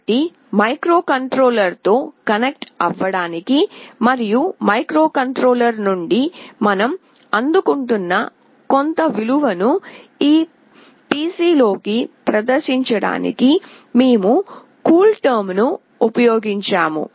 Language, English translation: Telugu, So, we have used CoolTerm to connect with the microcontroller and to display some value that we are receiving from the microcontroller into this PC